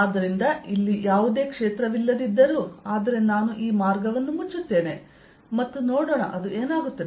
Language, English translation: Kannada, ok, so, although they may not be any field out here, but i'll make this path closed and let us see what does it come out to be